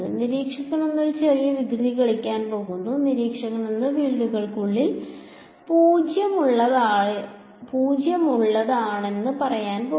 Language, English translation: Malayalam, Observer 1 is going to play little bit of a mischief, observer 1 is going to say fields are 0 inside